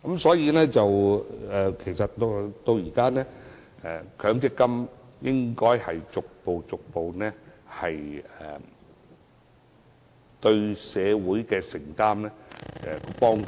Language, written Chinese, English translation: Cantonese, 所以，現在強積金應該逐步增加對社會的承擔和幫助。, Therefore the MPF System should enhance commitment and assistance to society in a progressive manner now